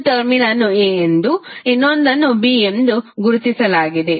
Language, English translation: Kannada, One terminal is given as a, another as b